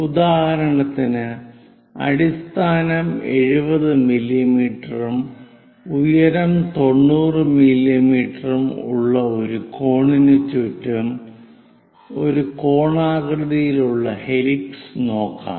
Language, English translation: Malayalam, For example, let us look at a conical helix winded around a cone of base 70 mm and height 90 mm